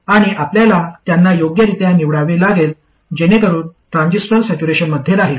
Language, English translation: Marathi, And you have to choose them appropriately so that the transistor is maintained in saturation